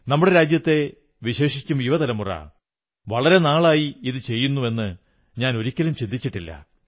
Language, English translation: Malayalam, I had never even imagined that in our country especially the young generation has been doing this kind of work from a long time